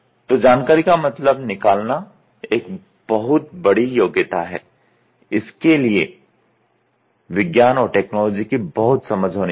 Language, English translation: Hindi, So, information interpretation is a big skill and it is huge it involves huge science understanding and technological interpretation